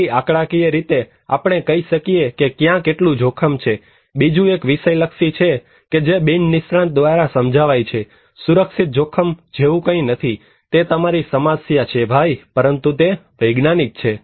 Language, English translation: Gujarati, So, statistically we can say how much risk is there, another one is the subjective one that perceived by non expert, there is nothing called cultural risk, it is your problem man, but there is a scientific